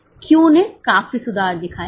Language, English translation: Hindi, Q has shown substantial improvement